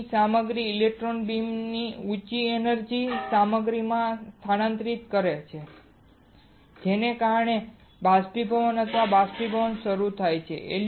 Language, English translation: Gujarati, Material of interest the high energy of electron beam is transferred to the material which causes is to start evaporation or evaporating